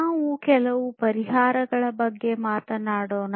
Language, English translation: Kannada, So, let us talk about some of the solutions